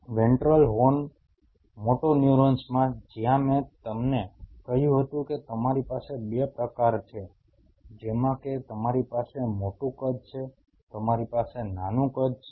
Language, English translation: Gujarati, In the ventral horn motoneurons where I told you that you have 2 types like you have the larger size you have the smaller size